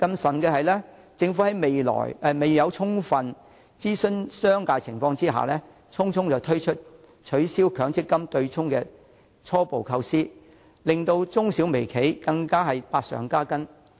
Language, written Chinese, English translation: Cantonese, 此外，政府未有充分諮詢商界，便匆匆推出取消強制性公積金對沖的初步構思，以致中小微企百上加斤。, Furthermore the Government has not fully consulted the business sector before putting forward its preliminary idea of abolishing the offsetting mechanism of the Mandatory Provident Fund System thus further aggravating the burden of medium small and micro enterprises